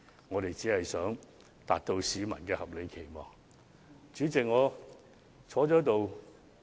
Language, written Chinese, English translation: Cantonese, 我們只是盡力達到市民的合理期望而已。, We are just trying our best to meet the reasonable expectations of the public after all